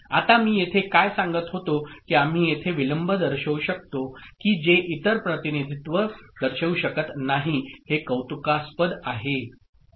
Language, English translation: Marathi, Now here what I was telling that we can show the delay if it is appreciable, which other representations cannot show